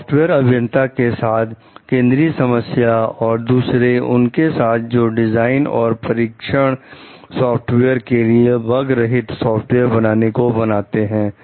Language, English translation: Hindi, The central problem for software engineers and others who design and test software is that of creating a bug free software